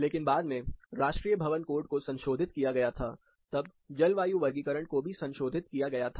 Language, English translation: Hindi, But later, national building code was revised, when the climatic classification was also revised, as a part of it